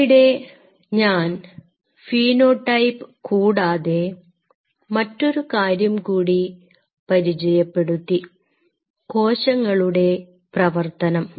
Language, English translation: Malayalam, So, here apart from the phenotype I introduce another aspect which is called functional